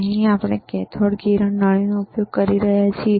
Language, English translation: Gujarati, Here we are using the cathode ray tube